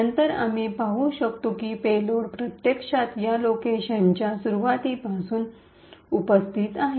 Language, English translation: Marathi, Then we would see that the payload is actually present starting from this location